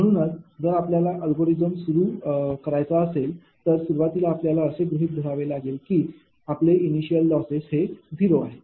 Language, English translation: Marathi, so if initially you have to start the algorithm and you have to assume that initial your loss will be zero